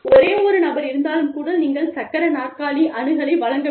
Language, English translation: Tamil, Even, if one person comes, you must provide, the wheelchair accessibility